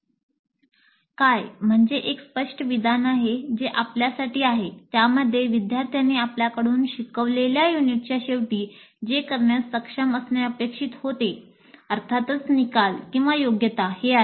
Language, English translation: Marathi, And what is a clear statement of what the students are expected to be able to do at the end of the instructional unit, which is for us the course outcome or competency